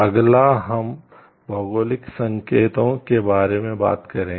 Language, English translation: Hindi, Next we will discuss about geographical indications